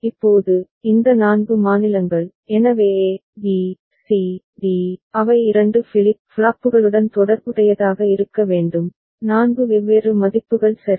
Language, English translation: Tamil, Now, so these 4 states, so a, b, c, d, they need to be associated with 2 flip flops, 4 different values ok